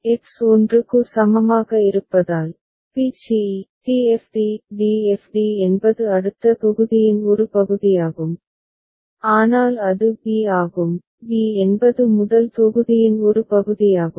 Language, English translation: Tamil, For X is equal to 1, we see that for b c e, d f d; d f d is part of the next block, but for a it is b, b is part of the first block